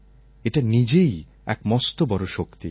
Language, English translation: Bengali, This in itself is a great power